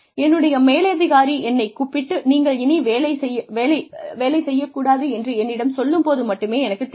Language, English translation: Tamil, Only, when my superior calls me, and tells me that, this is something, you should not be doing